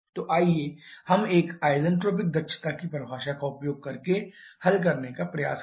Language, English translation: Hindi, So, let us try to solve it using the definition of isentropic efficiencies